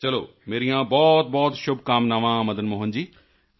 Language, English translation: Punjabi, Fine, my best wishes to you Madan Mohan ji